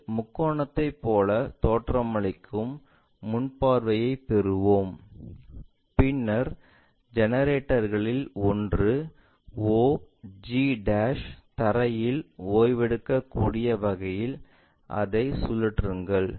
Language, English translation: Tamil, Have a front view which looks like a triangle, then rotate it in such a way that one of the generator may be og' resting on the ground